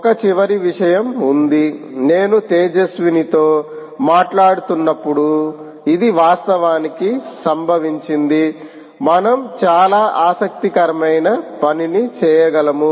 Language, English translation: Telugu, there is one last point which, when i was talking to tejaswini, it actually occurred that we should